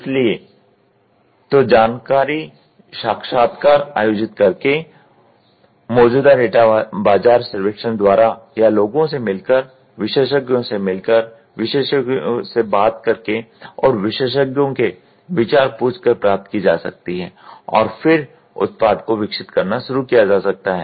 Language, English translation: Hindi, So, acquiring information can be through conducting interviews, can be looking at the existing data market survey whatever is there, meeting people, meeting experts, talking to experts and asking experts view and then start developing a product